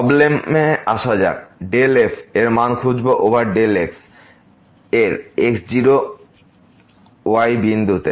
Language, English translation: Bengali, Coming to the problem find the value of del over del at the point naught